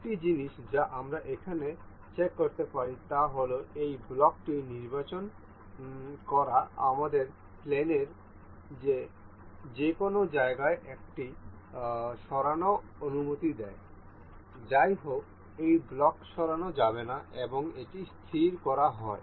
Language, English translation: Bengali, One thing we can check here that selecting this block allows us to move this anywhere in the plane; however, this block cannot be moved and it is fixed